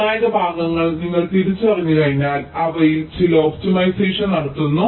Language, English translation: Malayalam, then once you identify the critical portions, to carry out certain optimization on those